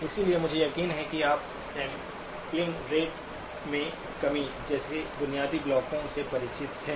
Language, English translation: Hindi, So I am sure that you are familiar with the basic building blocks such as the reduction in sampling rate